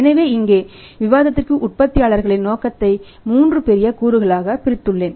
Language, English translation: Tamil, So, here for our discussion I have divided the the manufacturers motive into three broad components